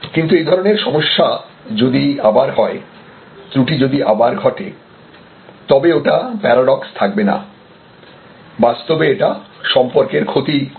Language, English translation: Bengali, But, it is very clear that if that problem happens again, if that lapse happens again, then it is no longer a paradox your actually damage the relationship